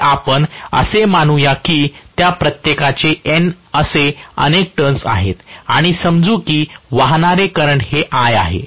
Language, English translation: Marathi, So, let us say each of them is having a number of turns to be N and let us say the current that is flowing is I